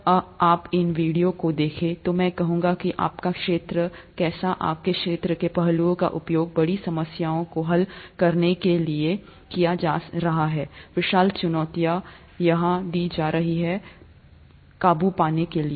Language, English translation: Hindi, When you watch through these videos, I would like you to see how your field, the aspects of your field are being used to solve huge problems, huge challenges, overcome huge challenges as the ones that are being given here